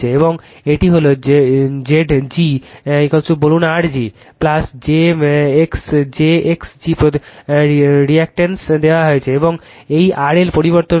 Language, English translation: Bengali, And this is Z g is equal to say R g plus j x g impedance is given, and this R L is variable right